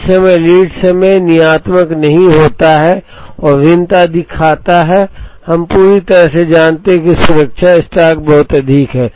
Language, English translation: Hindi, The moment the lead time is not deterministic and shows variation, we are fully aware that the safety stock is very high